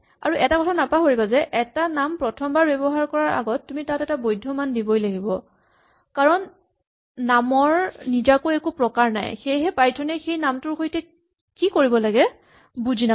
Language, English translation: Assamese, And finally, do not forget that you must assign a value to a name before it is first used otherwise, because names do not themselves have types, Python will not know what to do with the given name